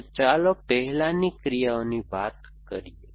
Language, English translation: Gujarati, So, let us talk of actions first